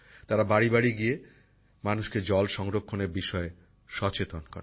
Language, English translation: Bengali, They go doortodoor to make people aware of water conservation